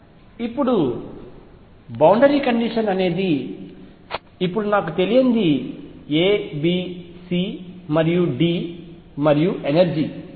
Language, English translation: Telugu, Now, the boundary condition I have now unknowns A B C and D and the energy itself